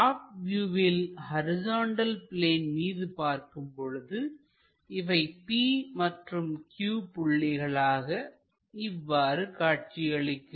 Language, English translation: Tamil, On the horizontal plane, if we are looking from top view it makes projection p here and projection q here